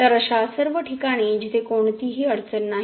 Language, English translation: Marathi, So, at all these points where there is no problem